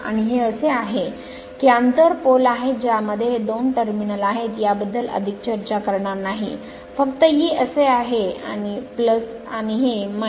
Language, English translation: Marathi, And this is this is your inter poles are there we will not discuss much these are the two terminal this is plus just hold on, this is your this is your this is your plus and this is minus